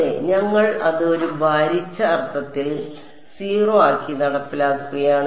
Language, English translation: Malayalam, Yeah we are enforcing it to be 0 in a weighted sense